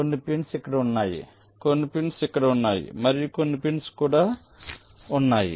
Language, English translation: Telugu, this is: some pins are here, some pins are here and some pins are also here